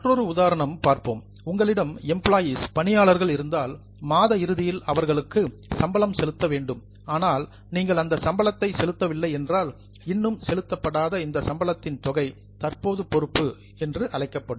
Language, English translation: Tamil, For example, if you have employees with you, you should pay salary at the end of the month, but if you don't pay that salary, then the amount of salary which is still unpaid, it will be called as a current liability